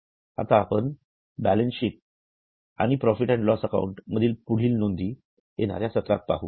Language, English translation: Marathi, We are going to discuss balance sheet and P&L in the next sessions